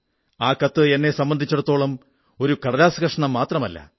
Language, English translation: Malayalam, That letter does not remain a mere a piece of paper for me